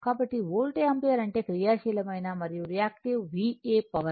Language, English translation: Telugu, So, volt ampere means VA active and reactive power so now, this is your this thing